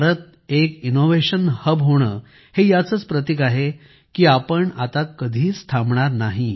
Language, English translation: Marathi, India, becoming an Innovation Hub is a symbol of the fact that we are not going to stop